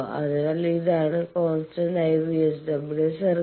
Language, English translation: Malayalam, So, constant VSWR circle